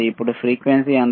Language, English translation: Telugu, Now, what is the frequency